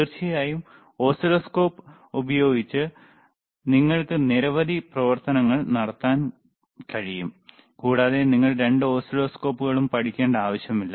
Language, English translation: Malayalam, Of course, you can perform several functions using both the oscilloscope, and it is not necessary that you should learn both oscilloscopes